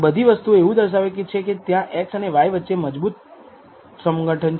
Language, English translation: Gujarati, So, all of these things it is indicating that there is a really strong association between x and y